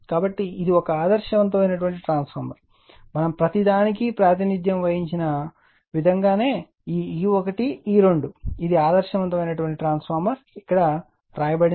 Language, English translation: Telugu, So, then this is an ideal transformer the way we have represented everything as it this E 1 E 2 this is an ideal transformer that is written here, right